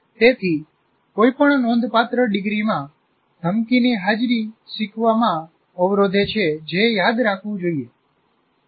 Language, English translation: Gujarati, So, presence of threat in any significant degree impedes learning